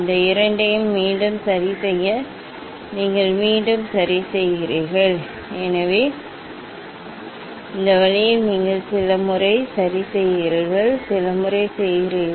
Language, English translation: Tamil, then again you adjust the this two again adjust, so this way you do it few times ok, you do it few times